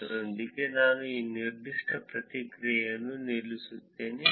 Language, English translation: Kannada, With that, I will stop this particular paper